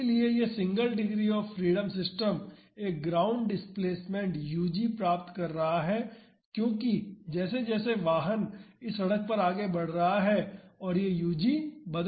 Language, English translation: Hindi, So, this single degree of freedom system is getting a ground displacement u g at each instant as the vehicle is moving over this road this u g changes